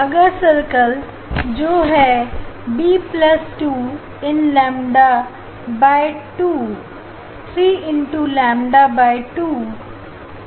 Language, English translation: Hindi, next circle that is the b plus 2 into lambda by 2 3 into lambda by 2